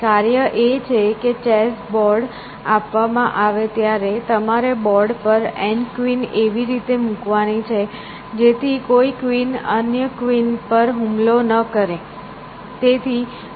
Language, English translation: Gujarati, The task is that given a end by end chess board, you have to place N queens on the board, in such a manner that no queen attacks, any other queens essentially